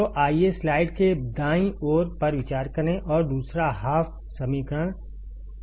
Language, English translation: Hindi, So, let us consider the right side of the slide and second half that is the equation number 2